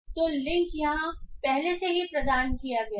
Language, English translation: Hindi, So the link is already provided here